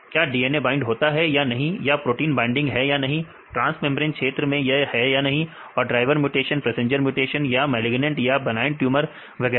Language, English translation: Hindi, Whether DNA binding or not, or the binding proteins are not, transmembrane region or not and the driver mutation, passenger mutation or the malignant or the this benign tumors and so on